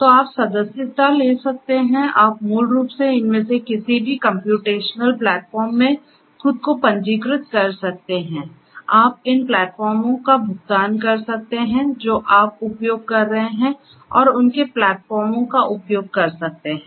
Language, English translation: Hindi, So, you could subscribe you could basically register yourself to any of these computational platforms you could subscribe to these platforms pay for whatever you are using and could use their platforms